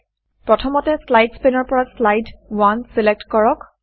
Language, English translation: Assamese, First, from the Slides pane, lets select Slide 1